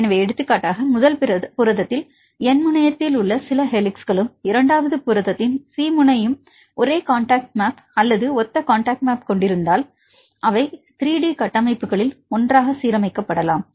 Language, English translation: Tamil, So, for example, there are some helices in the N terminal in the first protein, and the C terminal second protein if they have same contact map or similar contact map then they can be aligned together in 3 D structures